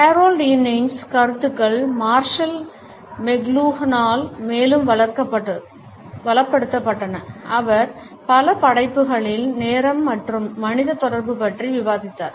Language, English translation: Tamil, The ideas of Harold Innis were further enriched by Marshall McLuhan who discussed time and human communication in several works